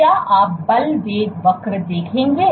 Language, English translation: Hindi, So, what you will see the force velocity curve what you will see